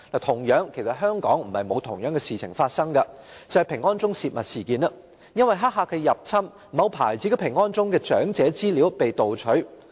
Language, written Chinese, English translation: Cantonese, 同樣，香港亦曾發生同類事件，就是平安鐘泄密事件，由於黑客入侵，某牌子平安鐘的長者資料被盜取。, A similar incident also happened in Hong Kong before . It was the leakage of confidential data of users of an emergency alarm service . Owing to intrusion by hackers the information of the elderly people using a certain brand of emergency alarm was stolen